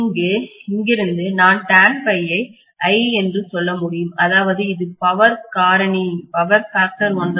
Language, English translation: Tamil, From here I can say tan phi is 0, which means it is going to be unity power factor condition